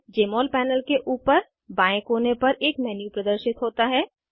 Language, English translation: Hindi, A menu appears on the top left corner of the Jmol panel